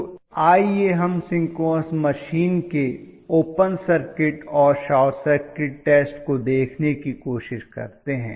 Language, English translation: Hindi, So let us try to look at open circuit and short circuit test of the synchronous machine